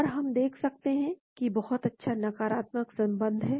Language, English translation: Hindi, And we see there is a very good negative correlation